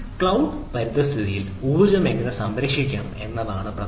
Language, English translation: Malayalam, so how to conserve energy within a cloud environment